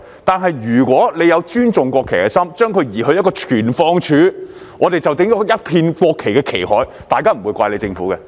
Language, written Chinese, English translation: Cantonese, 但是，如果政府有尊重國旗的心，把它移去一個存放處，便可以弄成一片國旗的旗海，這樣大家也不會怪政府。, However if the Government had respect for the flag and moved it to a storage area a sea of national flags could have been created and people would not have blamed the Government